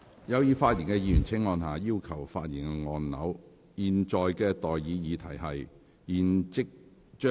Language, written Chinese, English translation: Cantonese, 有意發言的議員請按下"要求發言"按鈕。, Members who wish to speak in the debate on the motion will please press the Request to speak button